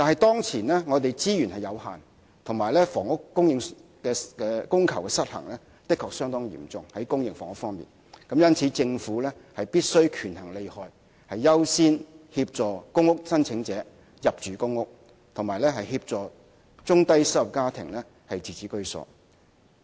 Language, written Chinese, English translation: Cantonese, 當前我們的資源有限，而公私營房屋的供求失衡情況的確相當嚴重，因此政府必須權衡利害，優先協助公屋申請者入住公屋及協助中低收入家庭自置居所。, In the face of limited resources and a supply - demand imbalance in public and private housing the Government must after weighing the advantages and disadvantages accord priority to helping PRH applicants get a PRH unit and assisting low to medium - income households to acquire home ownership